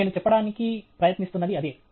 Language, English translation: Telugu, That’s what I am trying to say